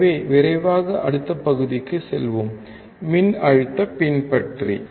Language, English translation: Tamil, So, let us quickly move to the next section: Voltage follower